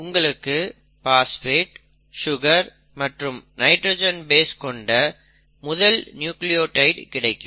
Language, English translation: Tamil, So it has a phosphate, a pentose sugar and the nitrogenous base